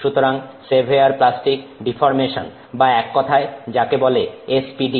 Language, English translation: Bengali, So, severe plastic deformation or in short it is referred to as SPD